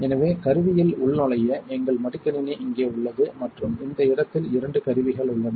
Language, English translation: Tamil, So, to log into the tool our laptop is over here and this location has two tools